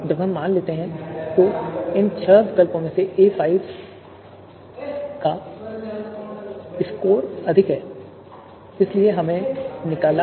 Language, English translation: Hindi, Now let us assume that out of these you know six alternatives, a5 is having the highest score